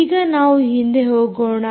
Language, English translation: Kannada, so, ah, go back to the